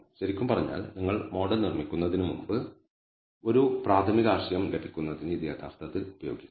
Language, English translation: Malayalam, So, really speaking you can actually use this to get a preliminary idea before you even build the model